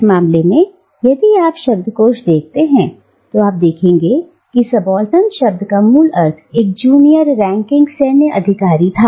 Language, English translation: Hindi, And, in this case, if you go to a dictionary, you will find that the original meaning of the term subaltern was a junior ranking military officer